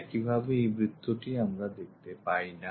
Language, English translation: Bengali, Similarly this circle we cannot view it